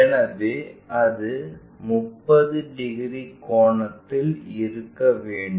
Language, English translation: Tamil, So, that supposed to be at 30 degrees angle is supposed to make